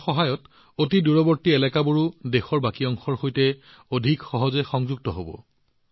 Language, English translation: Assamese, With the help of this, even the remotest areas will be more easily connected with the rest of the country